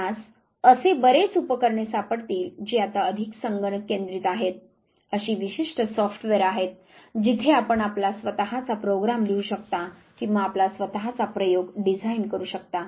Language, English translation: Marathi, Many apparatus you would find which are more computer centric now, there are specialized software where you can write your own program or design your own experiment